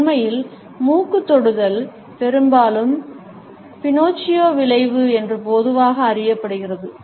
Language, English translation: Tamil, In fact, nose touch is often associated with what is commonly known as the Pinocchio effect